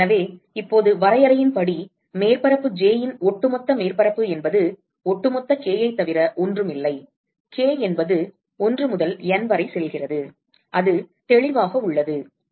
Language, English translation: Tamil, So, now by definition the overall surface of surface j is nothing, but sum over all k; k going from 1 to n, that is obvious